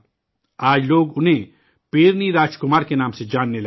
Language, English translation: Urdu, Today, people have started knowing him by the name of Perini Rajkumar